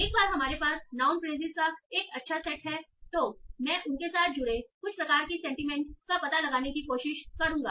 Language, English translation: Hindi, Once we have a good set of noun phrases, then I will try to find out some sort of sentiment associated with those